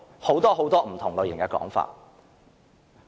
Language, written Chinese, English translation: Cantonese, 有很多不同的說法。, There were different claims at the time